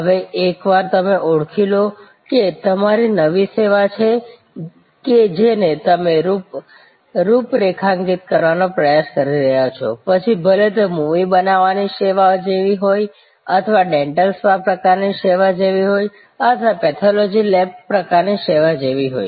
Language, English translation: Gujarati, Now, once you have identified that, whether it is your new service that you are trying to configure, whether it is like a movie making type of service or like a dental spa type of service or a pathology lab type of service